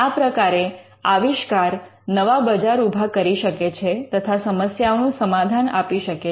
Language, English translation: Gujarati, Now, inventions can create new markets, inventions can offer solutions to existing problems